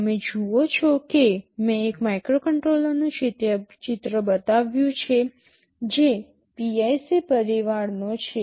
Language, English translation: Gujarati, You see here I have shown a picture of a microcontroller that belongs to the PIC family